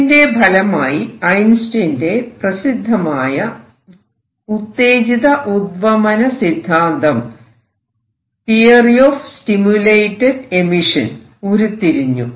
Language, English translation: Malayalam, And is now famous Einstein’s theory of stimulated emission this also laid foundations for development of lasers